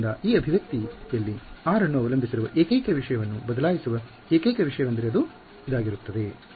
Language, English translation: Kannada, So, that we will remain the same the only thing that is changing the only thing that depends on r in this expression is this guy